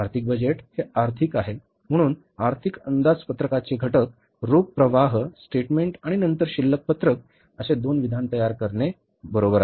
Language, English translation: Marathi, So the components of the financial budgets are preparing two two statements that is the cash flow statement and then the balance sheet, right